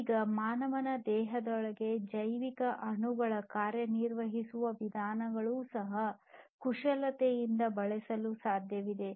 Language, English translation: Kannada, Now, it is also possible to manipulate the way the biomolecules within a human body they operate